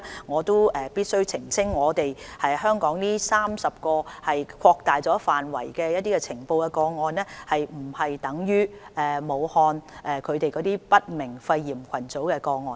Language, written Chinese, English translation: Cantonese, 我必須澄清，香港錄得的30宗個案屬擴大範圍的呈報個案，並不等於武漢的不明肺炎群組個案。, I must clarify that the 30 cases in Hong Kong are cases reported under the widened scope of surveillance . They are not equivalent to the cluster of pneumonia cases of unknown cause in Wuhan